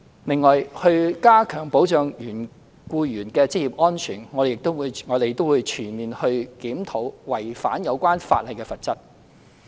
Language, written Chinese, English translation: Cantonese, 另外，為加強保障僱員的職業安全，我們將全面檢討違反有關法例的罰則。, In addition to enhance employees occupational safety we will conduct a comprehensive review on the penalty for violation of the relevant legislation